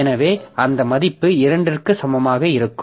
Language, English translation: Tamil, So, this value will be equal to 2